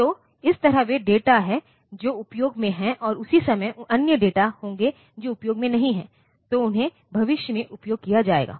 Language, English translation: Hindi, So, that way, those are the data that are in use and at the same time there will be other data which are not in use, so, they will be used in future